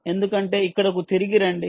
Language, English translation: Telugu, so, ah, go back to the